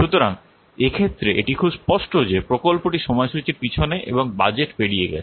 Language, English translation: Bengali, So in this case, it is very much apparent that the project is behind the schedule and over the budget